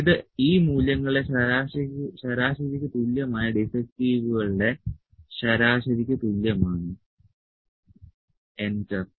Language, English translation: Malayalam, So, this is equal to the average of the defects is equal to average of these values, enter